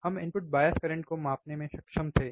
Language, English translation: Hindi, Now we already know input bias current